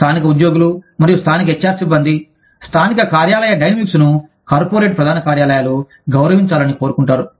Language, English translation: Telugu, Local workforces and local HR staffs, want the local office dynamics, to be respected by corporate headquarters